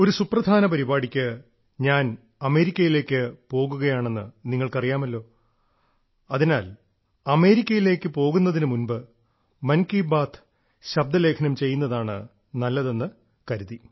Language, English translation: Malayalam, You are aware that for an important programme, I have to leave for America…hence I thought it would be apt to record Mann Ki Baat, prior to my departure to America